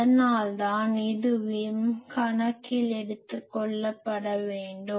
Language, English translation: Tamil, So, that is why this also should be taken into account